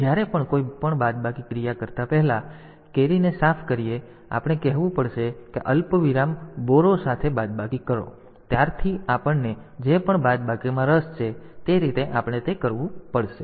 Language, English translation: Gujarati, So, whenever before doing any subtract operation, we have to clear the carry first and then we have to say like subtract with borrow a comma whatever subtraction we are interested in since so, that way we have to do it